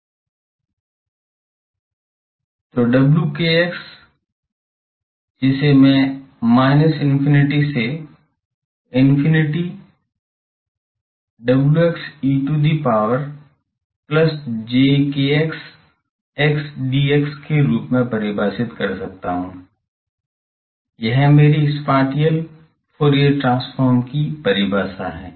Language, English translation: Hindi, So, W kx I can define as minus infinity to infinity wx, this is small wx e to the power plus j kx x dx, this is my definition of spatial Fourier transform